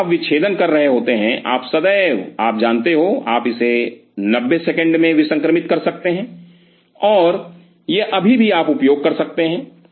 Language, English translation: Hindi, So, while you are dissecting you can always you know re sterilize it in 90 seconds and it still you can use